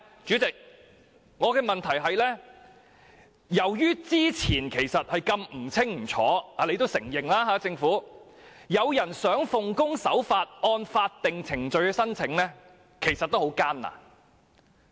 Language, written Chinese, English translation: Cantonese, 主席，我的補充質詢是，由於之前如此不清不楚——這是政府也承認的——即使有人想奉公守法，按法定程序申請，其實也相當艱難。, President here is my supplementary question . Since the application procedures have been unclear which the Government also admits law - abiding individuals find it difficult to submit applications according to the statutory procedures